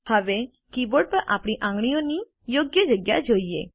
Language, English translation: Gujarati, Now, lets see the correct placement of our fingers on the keyboard